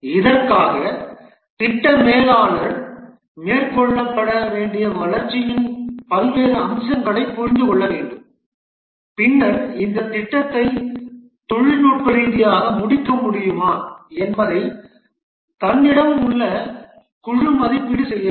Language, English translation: Tamil, For this, the project manager needs to understand various aspects of the development to be undertaken and then assesses whether the team that he has, whether they can technically complete this project